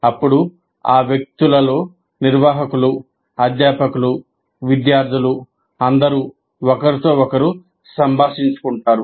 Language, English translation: Telugu, And then the people in that, the administrators, the faculty, the students all interact with each other